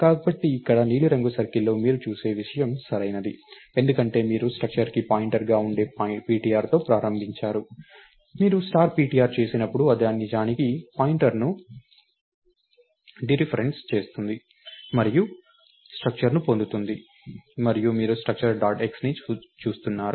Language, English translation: Telugu, So, this thing what you see in the blue circle here is correct, because you started with ptr which is a pointer to a structure, when you do star ptr it actually dereferences the pointer and gets the structure and you are looking at structure dot x